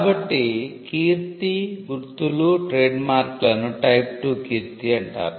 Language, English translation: Telugu, So, reputation, marks, trademarks, were type two reputation